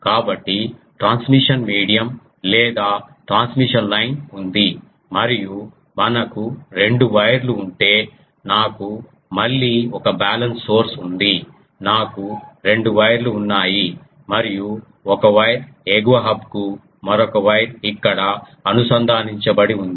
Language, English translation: Telugu, So, to do that there is a transmission medium or transmission line and if we have two wires, so, I have a source again a balance source, I have a two wires ah and one of the wire is connected to the upper hub the another wire is here